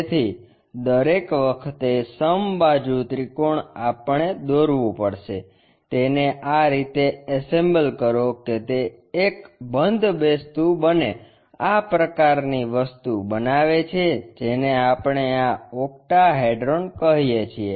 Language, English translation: Gujarati, So, equilateral triangle every time we have to construct, assemble it in such a way that, it makes a closed object such kind of thing what we call as this octahedron